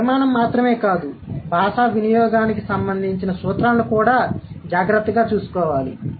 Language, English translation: Telugu, So, not only the structure, but also it should take care of principles of language